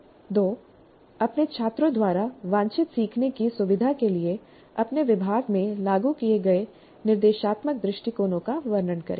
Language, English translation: Hindi, Please describe the instructional approaches implemented in your department for facilitating desired learning by your students